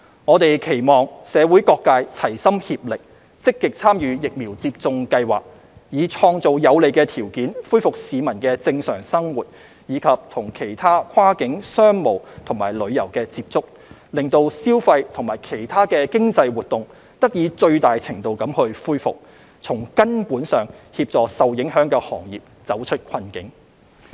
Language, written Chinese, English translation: Cantonese, 我們期望社會各界齊心協力，積極參與疫苗接種計劃，以創造有利條件恢復市民的正常生活及與其他跨境商務和旅遊接觸，讓消費及其他經濟活動得以最大程度地恢復，從根本上協助受影響的行業走出困境。, We hope that all sectors of the community will join hands and actively participate in the vaccination programme to create conditions conducive to restoring peoples normal life and other cross - border business and tourism activities so that consumption and other economic activities can be restored to the greatest extent possible and fundamentally help the affected industries to get out of the predicament